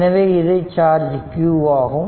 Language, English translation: Tamil, So, hence q 2 is equal to q 0